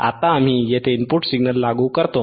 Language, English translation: Marathi, Now, we apply input signal here